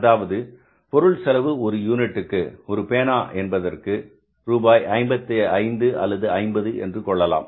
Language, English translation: Tamil, Say the material cost of per unit of this pen is you can call it as 50 rupees or 55 rupees